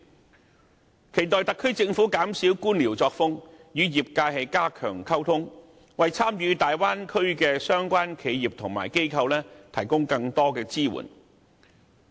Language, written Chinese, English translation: Cantonese, 我期待特區政府一改官僚作風，與業界加強溝通，為參與大灣區的相關企業和機構提供更多支援。, I hope the SAR Government can abandon its bureaucratic style and enhance communication with the industry and provide more support for the enterprises and institutions participating in the development of the Bay Area